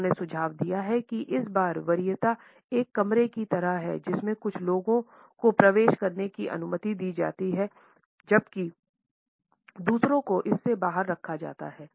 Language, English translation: Hindi, He has suggested that this time preference is like a room in which some people are allowed to enter while others are kept out of it